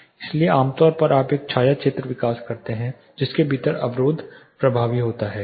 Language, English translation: Hindi, So, typically you develop a something called shadow zone within which the barrier is effective